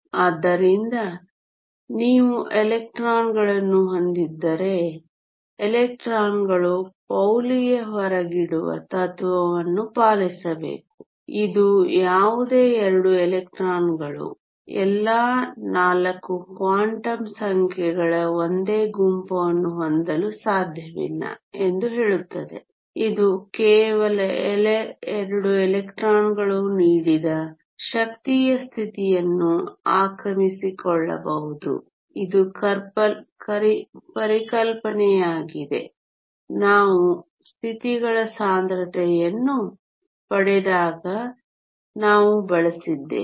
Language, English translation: Kannada, So, if you have electrons, electrons have to obey PauliÕs exclusion principle which states that no 2 electrons can have the same set of all 4 quantum numbers this translate into the fact that only 2 electrons can occupy a given energy state this is the concept that we have used when we derive the density of states